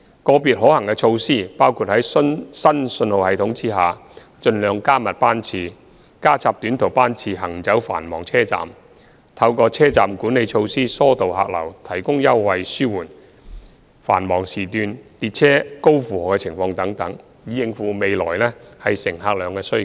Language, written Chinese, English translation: Cantonese, 個別可行措施包括在新信號系統下盡量加密班次、加插短途班次行走繁忙車站、透過車站管理措施疏導客流、提供優惠紓緩繁忙時間列車高負荷情況等，以應付未來乘客量的需求。, Specifically to cope with demand generated by future patronage the Corporation may consider feasible measures such as increasing train frequency as far as possible under the new signalling system arranging short - haul trips to run between busy stations easing passenger flow through station management measures and offering fare concessions to alleviate the heavy loading of trains during the peak periods